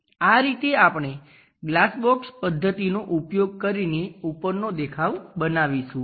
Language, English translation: Gujarati, Now let us use glass box method to construct these views